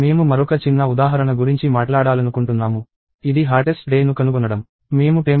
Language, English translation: Telugu, So, I want to talk about another small example, which is along the lines of finding the hottest day